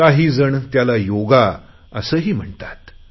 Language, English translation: Marathi, Some people also call it Yoga